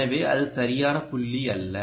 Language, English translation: Tamil, so that is not the right point